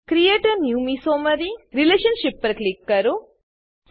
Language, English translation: Gujarati, Click on Create a new mesomery relationship